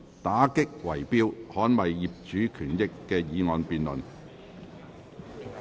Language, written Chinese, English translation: Cantonese, "打擊圍標，捍衞業主權益"的議案辯論。, The motion debate on Combating bid - rigging to defend the rights and interests of property owners